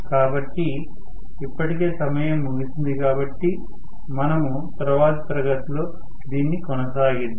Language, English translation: Telugu, So, already the time is up so we will probably continue with this in the next class